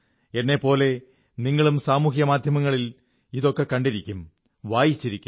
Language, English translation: Malayalam, You must have read and seen these clips in social media just like I have